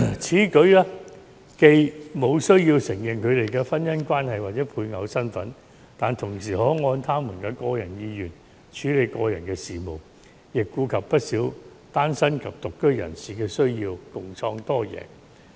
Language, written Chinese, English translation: Cantonese, 此舉既無須承認同性伴侶的婚姻關係或配偶身份，但同時可按他們的個人意願處理個人事務，亦顧及不少單身及獨居人士的需要，共創多贏局面。, If we adopt this approach then we can still be able to allow the person involved to handle hisher personal matters according to hisher own will without having to recognize the marital status of same - sex partner or the status as a spouse of same - sex partner this approach can also cater for the needs of many single people and person who live alone